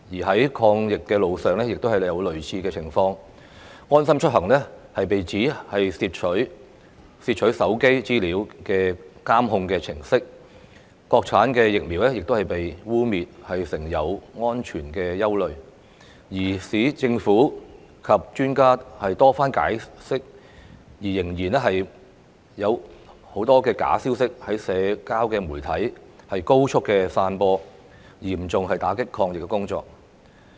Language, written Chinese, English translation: Cantonese, 在抗疫路上亦有類似情況，"安心出行"被形容是竊取手機資料的監控程式，國產疫苗亦被污衊有安全隱憂，即使政府及專家多番解釋仍有很多假消息在社交媒體高速散播，嚴重打擊抗疫工作。, There were similar occurrences later in our fight against the epidemic where the LeaveHomeSafe mobile app was smeared as a surveillance programme which would steal information from mobile phones while vaccines developed and manufactured in the Mainland of China were claimed to pose safety risks . Despite repeated clarifications by the Government and its experts there was still a lot of fake news spreading quickly in social media thus dealing a serious blow to our anti - epidemic effort